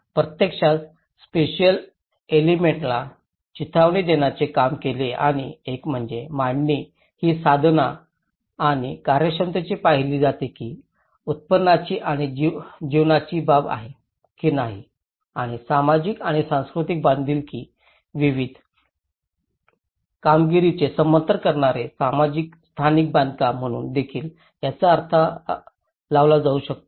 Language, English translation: Marathi, It actually worked to tease out the spatial elements and one is the layout is viewed both instrumentally and functionally whether support or not the issues of income and livelihood and it can also be interpreted as socio spatial construct which supports different performatives related to social and cultural life